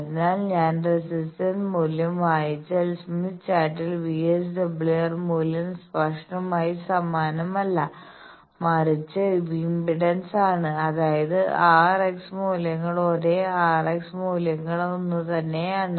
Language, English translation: Malayalam, So, if I read the resistance value because in Smith Chart VSWR value is not explicitly same, but impedance; that means, r and x values are same r bar and x values are same